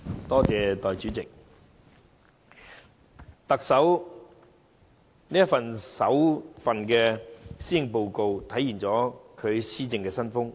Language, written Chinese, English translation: Cantonese, 代理主席，特首的首份施政報告體現了其施政新風。, Deputy President this maiden Policy Address of the Chief Executive is a manifestation of her new style of governance